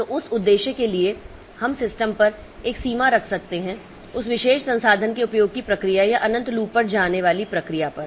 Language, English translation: Hindi, So, for that purpose we can put a limit on the system on the processes usage of that particular resource or a process going on to infinite loop